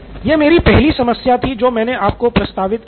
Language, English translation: Hindi, This is my first problem that I proposed to you